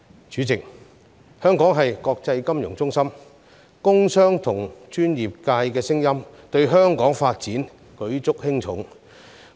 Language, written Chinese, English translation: Cantonese, 主席，香港是國際金融中心，工商和專業界的聲音對香港發展舉足輕重。, President Hong Kong is an international financial centre . The views of the business and industrial sector and the professional sectors are pivotal to the development of Hong Kong